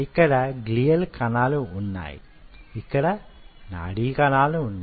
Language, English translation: Telugu, so here you have the glial cells, here you have the neurons